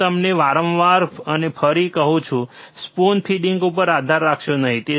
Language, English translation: Gujarati, I tell you again and again, do not rely on spoon feeding, right